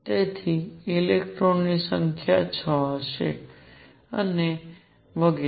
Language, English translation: Gujarati, So, number of electrons 6 and so on